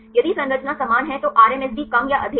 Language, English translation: Hindi, If the structure are similar then the RMSD is less or high